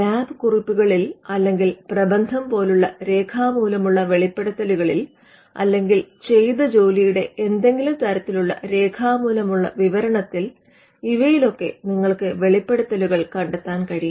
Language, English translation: Malayalam, You could find disclosures written disclosures like lab notes or thesis or or any kind of written description of work done